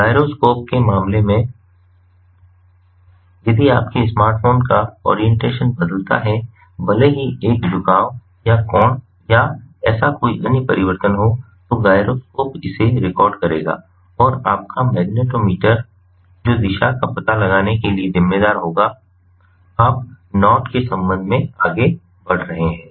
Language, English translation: Hindi, in case of gyroscope, if your smartphones orientation changes, even if there is a tilt or angle or any such other change, the gyroscope will record this and your magnetometer, which will be responsible for locating the direction you are moving with respect to the knot